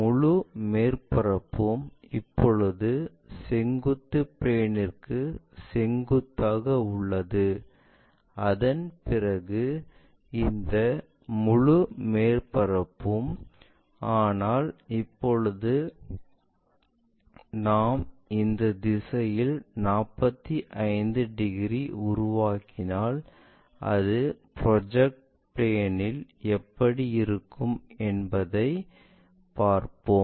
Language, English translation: Tamil, And this entire surface after that; this entire surface right now perpendicular to the vertical plane, but now if we are making something like in this direction 45 degrees, how does that really look like in the projected planes like normal planestop side planes